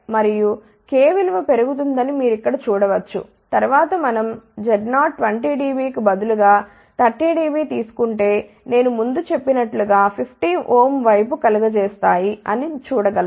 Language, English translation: Telugu, And, you can actually see that as k is increasing, if we take further instead of 20 Db, if we take 30 dB, this will tend towards which I had mentioned earlier will tend towards 50 ohm ok